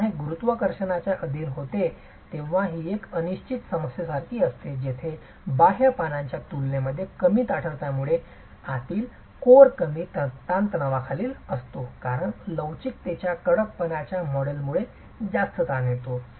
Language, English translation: Marathi, When this is subjected to gravity forces, this is like an indeterminate problem where the inner core because of lower stiffness is subjected to lower stresses in comparison to the outer leaves which are subjected to higher stresses because of higher stiffness, modest velocity